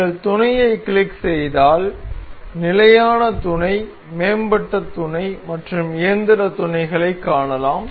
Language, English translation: Tamil, If you click on mate we can see standard mates advanced mates and mechanical mates